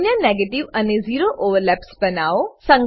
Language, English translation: Gujarati, Next, we will move to negative and zero overlaps